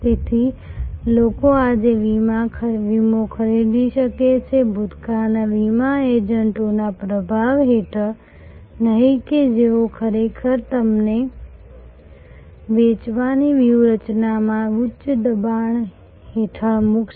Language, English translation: Gujarati, So, a people can buy insurance today, not under the influence of yesteryears, insurance agents who would have actually put you under a high pressure selling tactics